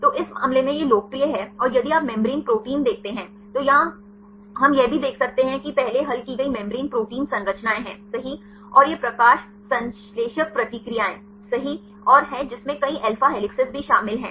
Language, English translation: Hindi, So, in this case this is popular and if you see the membrane proteins, here also we can see that the first solved membrane protein structures right and this photosynthetic reactions and right which also contains several alpha helices right